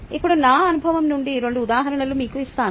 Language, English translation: Telugu, now let me give you two examples from my experience